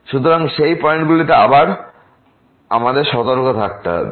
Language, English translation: Bengali, So, at those points we have to be careful